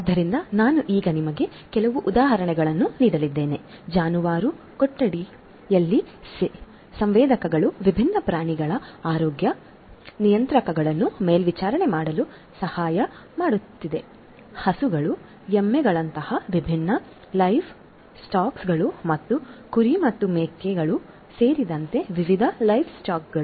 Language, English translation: Kannada, So, I am now going to give you some examples in the live stock barns sensors can help in monitoring the health parameters of different animals, different live stocks such as cows, buffaloes and different other live stocks including sheep and goats and so on